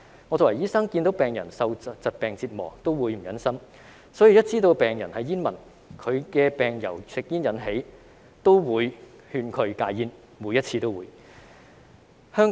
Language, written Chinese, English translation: Cantonese, 我作為醫生，看到病人受疾病折磨也會於心不忍，所以只要知道病人是煙民，以及其疾病由吸煙引起，我也會勸他們戒煙，每一次都會。, As a doctor I feel heart - rending to see my patients suffering from diseases . Hence once I learn that my patients are smokers and that their diseases are caused by smoking I will advise them to quit smoking . I will do so every time